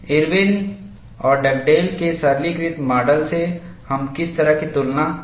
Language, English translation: Hindi, What is the kind of comparisons that we can make from simplistic model, Irwin’s model and Dugdale’s model